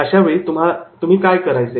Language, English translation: Marathi, So what to do